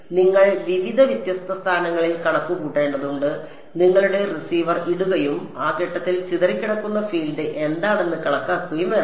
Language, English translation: Malayalam, So, you have to calculate at various several different positions r prime you have to put your receiver and calculate what is the scattered field at that point